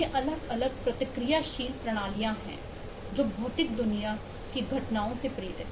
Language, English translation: Hindi, so these are, these are different reactive systems that are driven by the events in the physical world